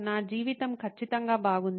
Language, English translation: Telugu, My life is perfectly fine